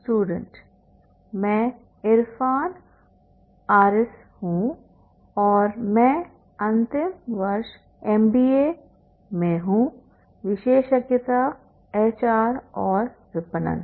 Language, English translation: Hindi, I'm Erfhan Harris, I'm in a final year in doing specialization in HR and marketing